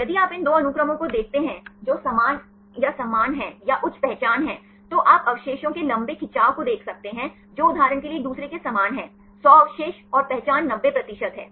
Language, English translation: Hindi, If you look into these two sequences which are identical or similar or the high identity, then you can see long stretch of residues which are similar to each other for example, 100 residues and identity is 90 percent